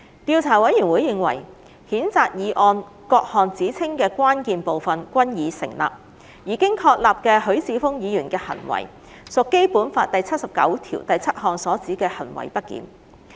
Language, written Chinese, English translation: Cantonese, 調查委員會認為，譴責議案各項指稱的關鍵部分均已成立，而經確立的許智峯議員的行為，屬《基本法》第七十九條第七項所指的行為不檢。, The Investigation Committee has found that the material parts of the allegations in the censure motion have been substantiated and the acts of Mr HUI Chi - fung as established amount to misbehaviour under Article 797 of the Basic Law